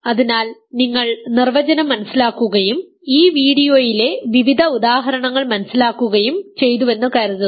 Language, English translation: Malayalam, So, hopefully you understood the definition and understood the various example in this video